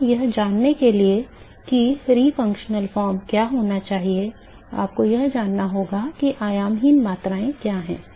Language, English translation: Hindi, So, in order to know what should be re functional form, you need to know what is dimensionless quantities are alright